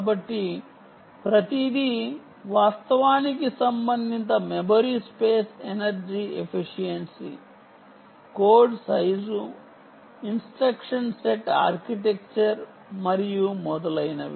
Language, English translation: Telugu, so everything is actually related: memory space, energy efficiency, code size, um, the instruction set, architecture and so on